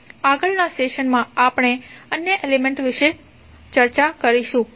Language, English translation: Gujarati, In next session, we will discuss more about the other elements